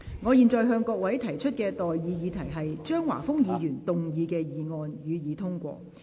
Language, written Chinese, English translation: Cantonese, 我現在向各位提出的待議議題是：張華峰議員動議的議案，予以通過。, I now propose the question to you and that is That the motion moved by Mr Christopher CHEUNG be passed